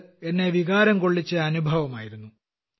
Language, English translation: Malayalam, It was an emotional experience